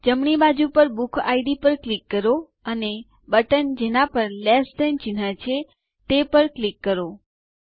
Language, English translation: Gujarati, Click on BookId on the right hand side and click on the button that has one Less than symbol